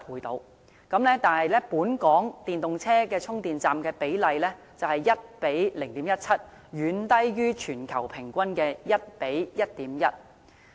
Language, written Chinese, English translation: Cantonese, 但是，本港電動車與充電站的比例卻是 1：0.17， 遠低於全球平均的 1：1.1。, But the ratio of EVs to charging facilities in Hong Kong is 1col0.17 which falls far behind the global average of 1col1.1